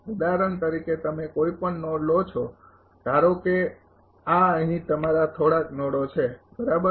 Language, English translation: Gujarati, For example, you take any node suppose this is your some node right here